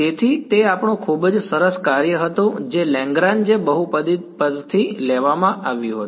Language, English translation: Gujarati, So, those were our very nice basis function which was derived from the Lagrange polynomials ok